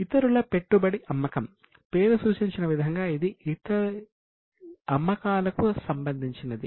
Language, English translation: Telugu, Sale of investment others as the name suggests it is related to sale of investment